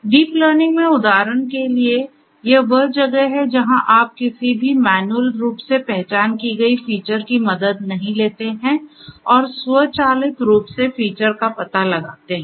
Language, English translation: Hindi, In deep learning, for exam example this is where you do not take help of any manually identified features and automatically the features are going to be found out on their own right